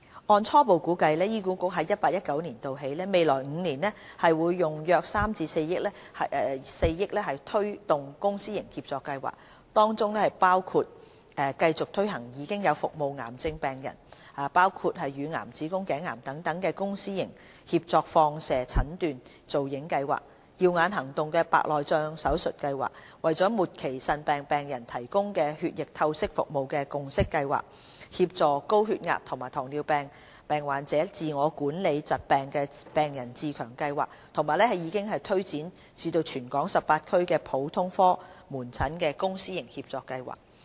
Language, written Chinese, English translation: Cantonese, 按初步估計，醫管局在 2018-2019 年度起，未來5年每年會用約3億元至4億元推動公私營協作計劃，當中包括繼續推行現有服務癌症病人，包括患上乳癌、子宮頸癌等病人的公私營協作放射診斷造影計劃、"耀眼行動"白內障手術計劃、為末期腎病病人提供血液透析服務的"共析計劃"、協助高血壓及糖尿病患者自我管理疾病的病人自強計劃，以及已經推展至全港18區的普通科門診公私營協作計劃。, According to an initial estimation from 2018 - 2019 onwards HA will allocate between 300 million and 400 million over each of the next five years to fund various PPP programmes including some ongoing programmes . They include the Project on Enhancing Radiological Investigation Services through Collaboration with the Private Sector for cancer patients including those suffering from breast cancer and cervix cancer the Cataract Surgeries Programme the Haemodialysis PPP Programme for patients with end stage renal disease the Patient Empowerment Programme for patients with hypertension or diabetes to enhance their ability in self - management of chronic diseases as well as the General Outpatient Clinic PPP Programme which has now been rolled out in all 18 districts